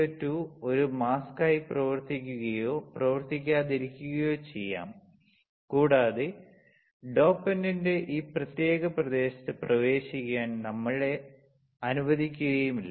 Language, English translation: Malayalam, The SiO2 will not or will act as a mask and we will not allow the dopant to enter in this particular region, right, SiO2 will act as a mask and we will not allow the dopant to enter in this particular substrate